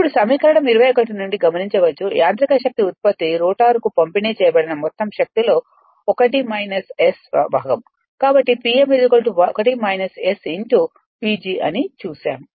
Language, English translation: Telugu, Now, it is noticed from equation 21, that the mechanical power output is a factor of o1 minus S of the total power delivered to the rotor, we have seen P m is equal to 1 minus S P G